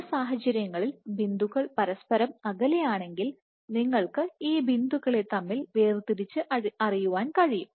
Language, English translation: Malayalam, So, in some cases if these points are far from each other you can resolve these points